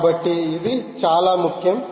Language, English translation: Telugu, so this is very, very important